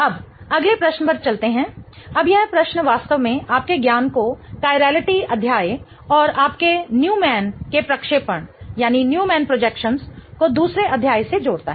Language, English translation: Hindi, Now, this question really combines your knowledge from the chirality chapter and your Newman projections from the second chapter